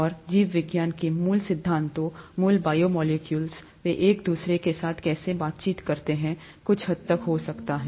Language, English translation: Hindi, And the very fundamentals of biology, the basic biomolecules, how they interact with each other to certain extent may be